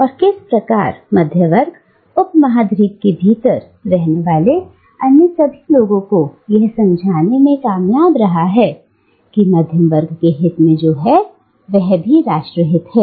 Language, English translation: Hindi, And how the middle class has managed to convince all the other groups of people living within the subcontinent, that what is in the interest of the middle class is also the national interest